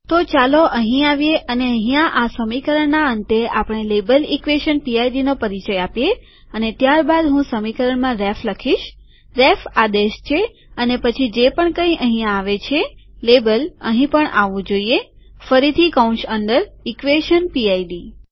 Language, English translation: Gujarati, So let us come here and here at the end of the equation we introduce label equation PID and then here I write in equation ref, ref is the command, and whatever than comes here label, should appear here also, again within the braces, equation PID